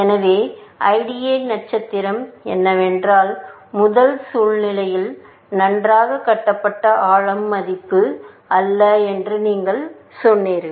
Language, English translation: Tamil, So, what IDA star is, that in the first situation, you said that bound, well, depth is not the value